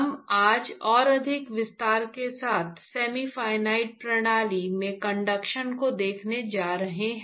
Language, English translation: Hindi, So, we are going to look at conduction in semi infinite system, with a much more detail today